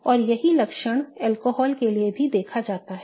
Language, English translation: Hindi, And the same trait is seen for alcohols as well